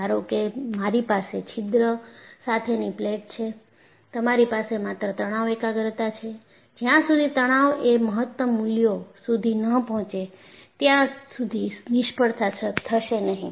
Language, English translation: Gujarati, Suppose, I have a plate with the hole; you will have only stress concentration, until the stresses reaches the maximum values failure will not happen